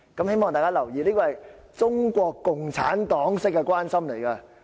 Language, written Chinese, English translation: Cantonese, 希望大家留意，這種是中國共產黨式的關心。, I hope everyone will note that such gesture of concern is typical of the Communist Party of China CPC